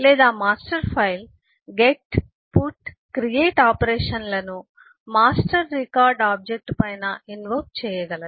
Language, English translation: Telugu, or master file can invoke, get, put or create operations on the master record object